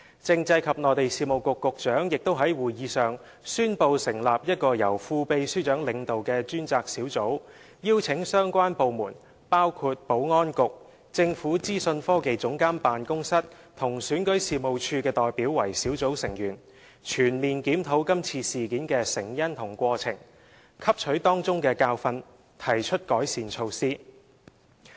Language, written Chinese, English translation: Cantonese, 政制及內地事務局局長亦在會議上宣布成立一個由副秘書長領導的專責小組，並邀請相關部門，包括保安局、政府資訊科技總監辦公室和選舉事務處的代表為小組成員，全面檢討這次事件的成因和過程，汲取當中的教訓，提出改善措施。, The Secretary for Constitutional and Mainland Affairs further announced in the meeting the setting up of a Task Force to be led by a Deputy Secretary for Constitutional and Mainland Affairs . Representatives from relevant departments such as the Security Bureau the Office of the Government Chief Information Officer and REO would be invited or asked to join the Task Force for a comprehensive review of the causes and course of the incident so as to learn from it and formulate measures for improvement